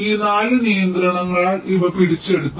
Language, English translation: Malayalam, these are captured by these four constraints